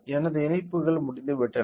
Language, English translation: Tamil, So, my connections are done